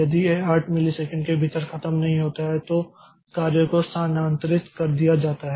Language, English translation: Hindi, If it does not finish within 8 milliseconds the job is moved to Q1